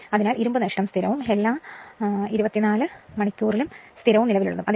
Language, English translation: Malayalam, So, whatever iron loss will be there it will remain constant and 24 hours